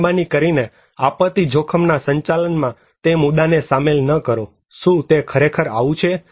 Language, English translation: Gujarati, Please do not incorporate that element in disaster risk management, is it really so